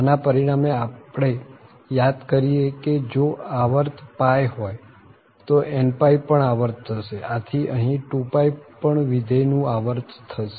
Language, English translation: Gujarati, So, and as a result, we are calling that if pie is the period than n pie is also a period, so here the 2 pie is also period for this function